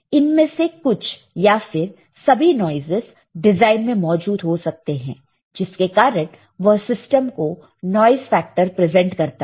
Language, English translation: Hindi, So, some or all the of this noises may be present in the design, presenting a noise factor meaning to the system